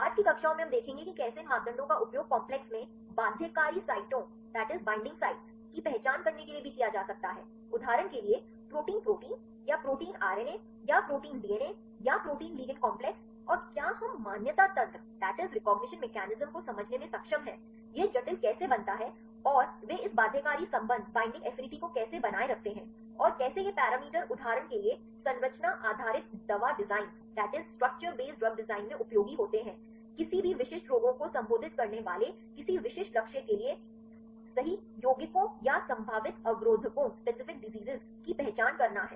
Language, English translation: Hindi, In the subsequent classes we will see how these parameters can also be used to identify the binding sites in complexes for example, protein protein or protein RNA or protein DNA or the protein ligand complexes and whether we are able to understand the recognition mechanism of how this complex is formed and how they maintain this binding affinity and how these parameters are useful in structure based drug design for example, to identifying the lead compounds or potential inhibitors right for any specific targets addressing any specific diseases